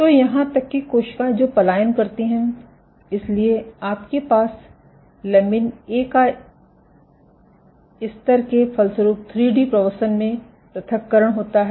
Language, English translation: Hindi, So, even for the cells which migrate, so you have lamin A levels leads to sorting in 3d migration